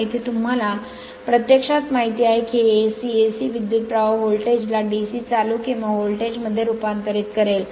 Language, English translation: Marathi, Here actually you know it will be your convert AC, AC current voltage to DC current or voltage this right